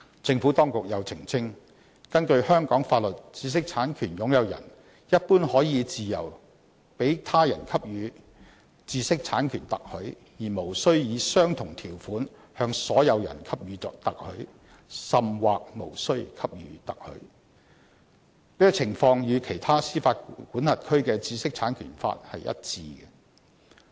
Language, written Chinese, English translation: Cantonese, 政府當局又澄清，根據香港法律，知識產權擁有人一般可以自由向他人給予知識產權特許，而無須以相同條款向所有人給予特許，甚或無須給予特許。這情況與其他司法管轄區的知識產權法一致。, The Administration has further clarified that in line with the IP laws of other jurisdictions under Hong Kong law an IPR owner may generally license its IPR freely and is not obliged to license its IPR to all persons on the same terms or at all